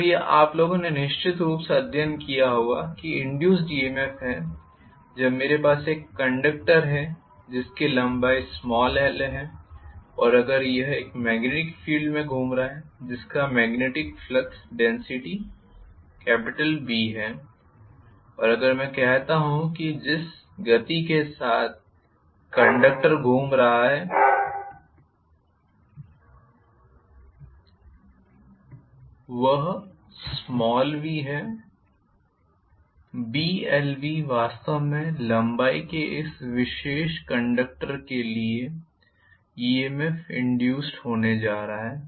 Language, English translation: Hindi, So this you guys must have definitely studied that EMF induced when I have a conductor whose length is l and if it is moving in a magnetic field whose magnetic flux density is B and if I say that the velocity with which the conductor is moving is v, Blv is going to be actually the induced EMF for this particular conductor of length l,right